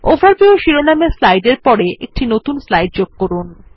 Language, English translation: Bengali, Insert a new slide after the slide titled Overview